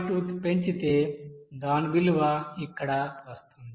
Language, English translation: Telugu, 2 its value is coming like this here